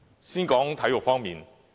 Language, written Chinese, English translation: Cantonese, 先談談體育方面。, Let me begin with sports